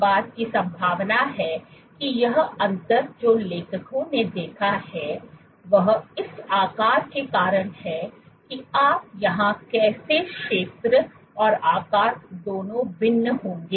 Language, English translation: Hindi, In there is a possibility that this difference that the authors observed is because of this shape also how would you here both area and shape were varying